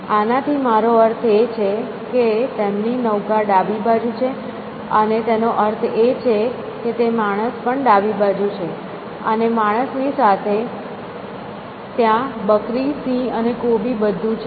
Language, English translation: Gujarati, So, what I mean by this is, their boat is on left hand side and which means the man is also on the left hand side and along with the man, there is the goat and the lion and the cabbage all of them